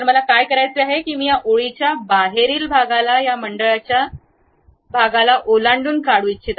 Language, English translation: Marathi, What I want to do is I would like to remove this outside part of this line which is exceeding that circle